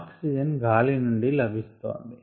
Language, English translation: Telugu, the source of oxygen was air